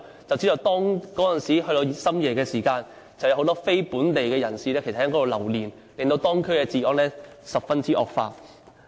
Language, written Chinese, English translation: Cantonese, 這些地區深夜時分有很多非本地人士留連，令到當區的治安嚴重惡化。, At night time these two districts are frequented by non - local people who have caused a serious deterioration in the public order of these districts